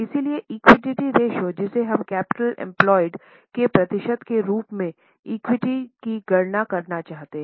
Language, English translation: Hindi, So, equity ratio, we seek to calculate equity as a percentage of capital employed